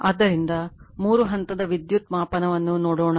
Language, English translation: Kannada, So, Three Phase Power Measurement , right